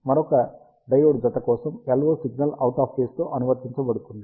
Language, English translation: Telugu, For another diode pair, the LO signal is applied out of phase